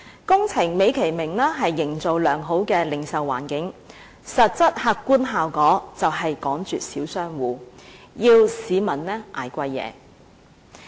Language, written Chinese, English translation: Cantonese, 工程美其名是營造良好的零售環境，但實質客觀的效果便是趕絕小商戶，要市民承受價錢昂貴的貨品。, The excuse for carrying out this kind of projects is to create a decent retail environment but the actual and objective outcome is that small shop operators have been driven to a dead end and the public have to bear the high prices of goods